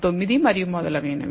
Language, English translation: Telugu, 9 and so on so forth